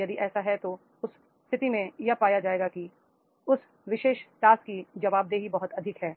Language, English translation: Hindi, If that is done then in that case it will be found that is the accountability of that particular job is very, very high